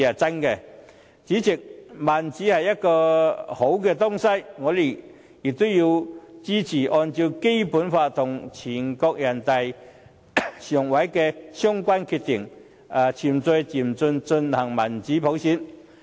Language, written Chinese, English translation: Cantonese, 主席，民主是好的東西，我也支持按照《基本法》和人大常委會的相關決定，循序漸進地推動民主普選。, President considering democracy something good I am also in favour of taking forward democratic universal suffrage in a progressive and orderly manner in accordance with the Basic Law and the relevant decision made by NPCSC